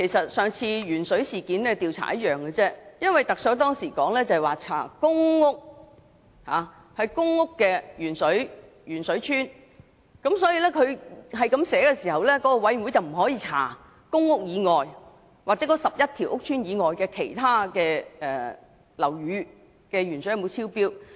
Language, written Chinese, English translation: Cantonese, 與上次調查鉛水事件一樣，特首當時也是說只調查公屋"鉛水邨"，所以調查委員會不會調查該11個公共屋邨以外地方的食水含鉛量有否超標。, As in the case of the last investigation into the lead - in - water incident back then the Chief Executive had also confined the investigation to PRH estates found to have excessive lead in drinking water thus the Committee of Inquiry had not examined if there was excessive lead in the drinking water of places other than those 11 PRH estates